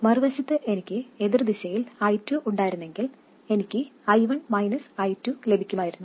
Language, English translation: Malayalam, On the other hand if I had I2 in the opposite direction, I would have got I1 minus I2